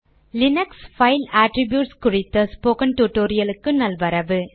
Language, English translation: Tamil, Welcome to this spoken tutorial on Linux File Attributes